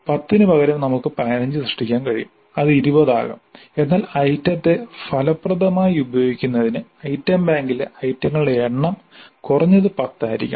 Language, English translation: Malayalam, Instead of 10 we could create 15 it could be 20 but at least this much should be the number of items in the item bank in order to make effective use of the item bank